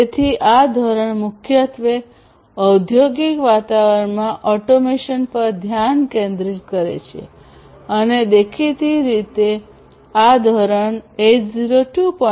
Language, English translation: Gujarati, So, this standard primarily focuses on automation in industrial environments and obviously, this standard, it is based on 802